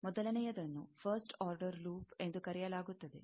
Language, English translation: Kannada, The first thing is called first order loop